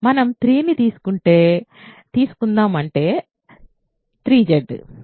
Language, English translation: Telugu, Let us take 3 which is 3Z